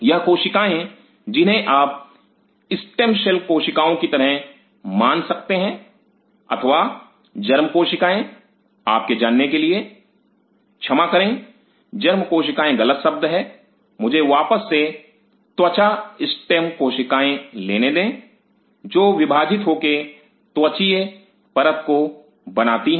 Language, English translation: Hindi, These cells you can considered them as the stem cells or the germ cells for you know the germ cells is wrong word sorry let me take back the skin stem cells which divide to form the skin layer